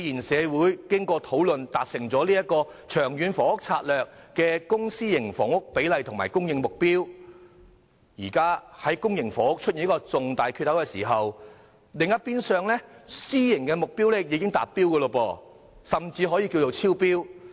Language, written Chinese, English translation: Cantonese, 社會經過討論才達成了《長遠房屋策略》的公私營房屋比例及供應目標，但公營房屋現在卻出現了一個重大缺口，另一邊廂的私樓目標卻已達標，甚至可以說是超標。, The community has held discussions before reaching a consensus on the ratio between PRH units and private housing units stated in LTHS as well as the supply objective but now public housing has a huge opening . On the other hand the private sector has achieved or even exceeded its target